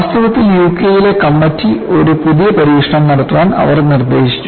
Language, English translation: Malayalam, In fact, this is what the committee in UK read this and they suggested a new test to be done